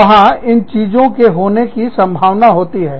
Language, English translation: Hindi, There is a potential, of these things happening